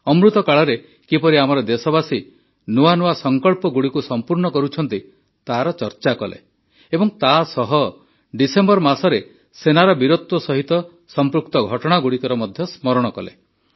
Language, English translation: Odia, We discussed how our countrymen are fulfilling new resolutions in this AmritKaal and also mentioned the stories related to the valour of our Army in the month of December